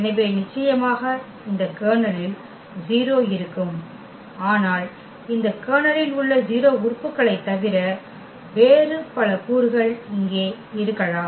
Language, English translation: Tamil, So, definitely the 0 will be there in this kernel, but there can be many other elements than the 0 elements in this kernel here